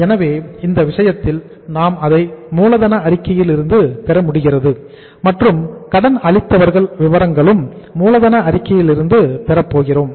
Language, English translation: Tamil, So in this case uh we are able to have it from the working capital statement and sundry creditors also we are going to have from the working capital statement